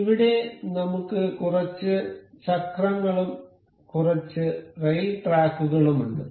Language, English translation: Malayalam, Here, we have some wheels and some rail tracks over here